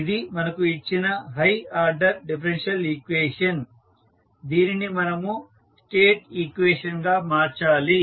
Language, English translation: Telugu, So, this is the higher order differential equation is given we need to find this, we need to convert it into the state equations